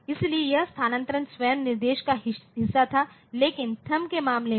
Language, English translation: Hindi, So, that shifting was part of the instruction itself, but in case of thumb